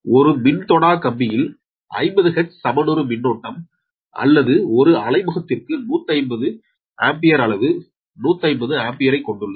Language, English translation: Tamil, the power line carries a fifty hertz balance, current or one hundred fifty amperes, magnitude, one hundred fifty ampere per phase